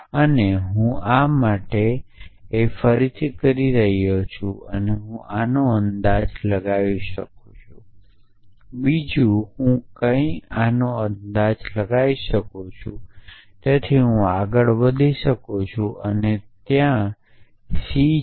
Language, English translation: Gujarati, And this I can for this from this and this I can infer this from this and something else I can infer this So, I can mo moving forward and that c is somewhere